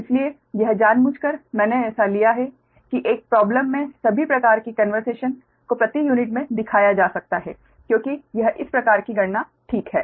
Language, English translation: Hindi, so this, intentionally i have taken this such that in one problem all sort of conversation to per unit can be shown right, because this are the